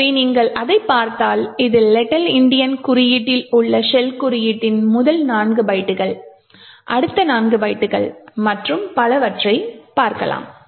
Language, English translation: Tamil, So, if you actually look at this, we see that this are the first four bytes of the shell code in the little Endian notation next four bytes and so on